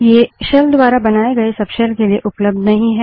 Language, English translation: Hindi, These are not available in the subshells spawned by the shell